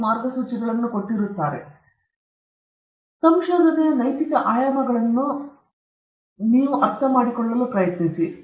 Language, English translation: Kannada, Then we try to understand what ethics has to do with research, the ethical dimensions of research